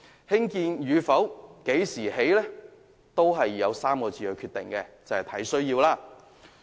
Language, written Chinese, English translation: Cantonese, 興建與否及何時提供皆取決於3個字："按需要"。, Whether they should be provided and when they should be provided depends on four words on a need basis